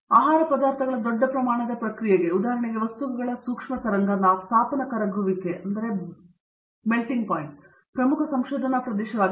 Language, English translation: Kannada, So, large scale processing of food materials, for example, in micro wave heating thawing of materials is an important research area